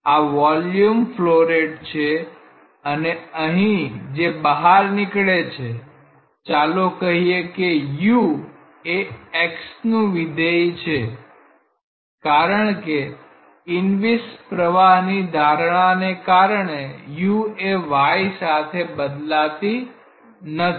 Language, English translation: Gujarati, This is the volume flow rate and what it leaves here, let us say u is a function of x because of the assumption of inviscid flow u does not vary with y